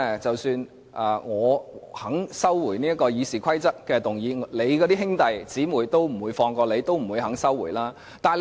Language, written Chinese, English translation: Cantonese, 即使我肯收回修改《議事規則》的議案，我的兄弟姊妹也不會放過你，不會收回議案。, Even if I withdraw the amendments to the RoP my brothers and sisters will not let go of you they will not withdraw the motion